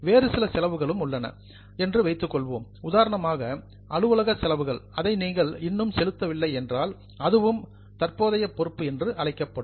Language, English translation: Tamil, If suppose there are some other expenses, let us say office expenses, you have not yet paid them, then that is also a current liability